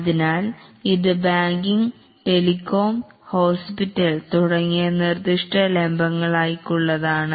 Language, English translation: Malayalam, So this is for specific verticals like banking, telecom, hospital and so on